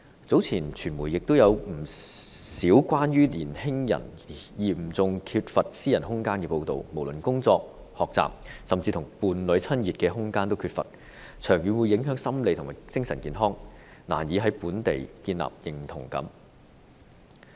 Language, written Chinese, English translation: Cantonese, 早前傳媒也有不少關於年青人嚴重缺乏私人空間的報道，無論是工作、學習，甚至跟伴侶親熱的空間也缺乏，長遠會影響心理和精神健康，難以在本地建立認同感。, Some time ago there were quite a lot of reports in the media about a serious lack of personal space for young people whether at work or in learning and space is lacking even for them to make out with their partners rendering their psychological and mental health affected in the long term and making it difficult for them to develop a sense of identity locally